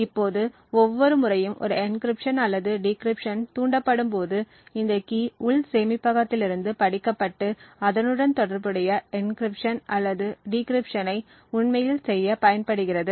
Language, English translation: Tamil, Now every time an encryption or a decryption gets triggered, this key is read from the internal storage and use to actually do the corresponding encryption or the decryption